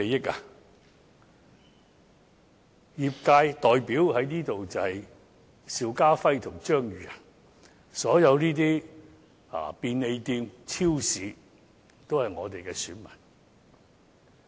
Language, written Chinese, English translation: Cantonese, 這裏的業界代表是邵家輝議員和我張宇人，所有便利店和超級市場也是我們的選民。, What are such interests? . The representatives of the industry in this Council include Mr SHIU Ka - fai and I Tommy CHEUNG . All the operators of convenient stores and supermarkets are our voters